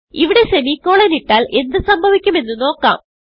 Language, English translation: Malayalam, Let us try what happens if we put the semicolon here